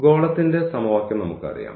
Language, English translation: Malayalam, So, we know the equation of the sphere